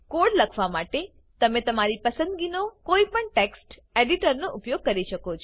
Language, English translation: Gujarati, You can use any text editor of your choice to write the code